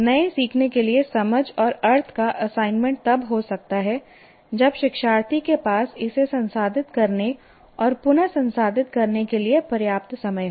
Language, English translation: Hindi, The assignment of sense and meaning to new learning can occur only if the learner has adequate time to process and reprocess it